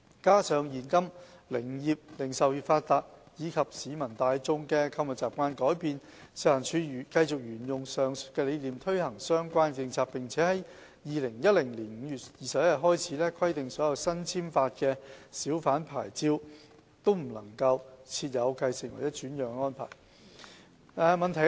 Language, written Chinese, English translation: Cantonese, 加上現今零售業發達及市民大眾的購物習慣改變，食環署繼續沿用上述理念推行相關政策，並自2010年5月21日開始，規定所有新簽發的小販牌照均不設繼承或轉讓安排。, Coupling with the well - developed retail trade and the change in shopping habits of the general public nowadays FEHD has followed the said principle to implement the related policies . With effect from 21 May 2010 for all newly issued hawker licences no succession or transfer arrangement is allowed